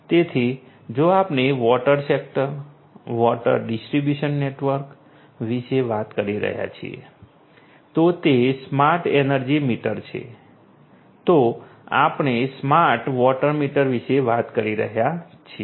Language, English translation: Gujarati, So, then it is the smart energy meter if we are talking about the water sector, water distribution network, then we are talking about the smart water meter